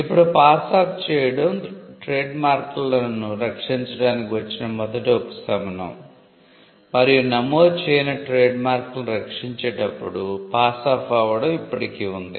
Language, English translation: Telugu, Now, passing off was the first relief that came to protect trademarks and passing off still exists, when it comes to protecting unregistered trademarks